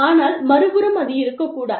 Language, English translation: Tamil, But, on the other hand, it may not be